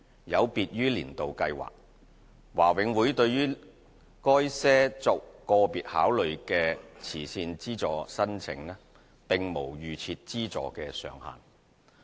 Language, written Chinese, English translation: Cantonese, 有別於"年度計劃"，華永會對於該些作個別考慮的慈善資助申請，並無預設資助上限。, Unlike applications under the annual schemes these applications requiring individual considerations are not capped by a pre - set donation ceiling